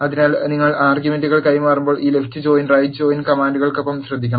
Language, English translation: Malayalam, So, you have to be careful when you are passing the arguments, to this left and right join commands